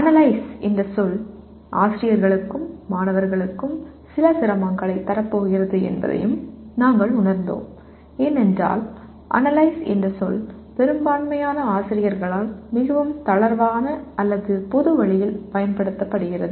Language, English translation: Tamil, And we also realized the word Analyze is going to provide rather give some difficulty to the teachers as well as the students because the word Analyze is used in a very loose or commonsensical way by majority of the faculty